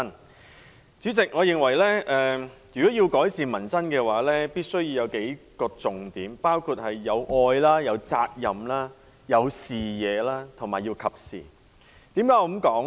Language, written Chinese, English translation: Cantonese, 代理主席，我認為如果要改善民生，政策必須具備數個要點，包括：愛、責任、視野和適時性。, Deputy President in my opinion if we want to improve peoples livelihood our policies must demonstrate love responsibility vision and timeliness